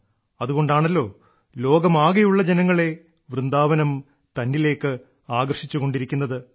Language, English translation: Malayalam, That is exactly why Vrindavan has been attracting people from all over the world